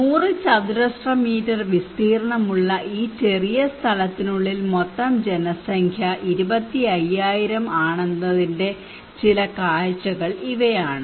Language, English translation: Malayalam, These are some of the glimpse of 100 square meter area total population is within this small place 25,000